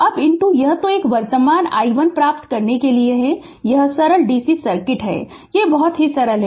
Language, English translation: Hindi, Then your that for obtaining the current I one it is simple simple dc circuit it is simple